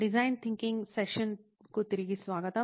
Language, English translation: Telugu, Welcome back to the session on design thinking